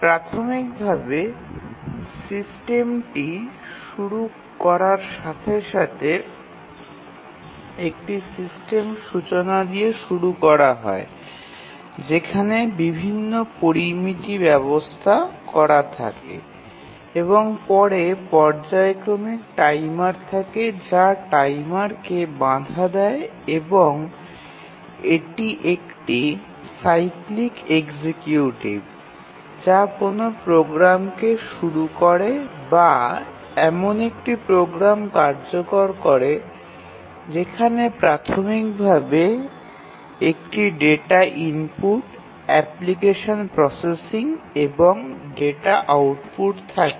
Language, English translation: Bengali, So, here initially to start with the system is started with a system initialization where various parameters are set and then there is a periodic timer which gives timer interrupt and it is a cyclic executive which starts a call to a program or executes a program where initially there is a data input application processing and and then data output, and then it keeps on waiting until the next period comes